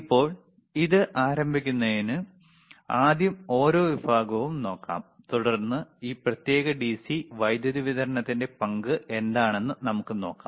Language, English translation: Malayalam, Now, so to start this one, right, , let us first see each section, and then we see what is the role of this particular DC power supply is;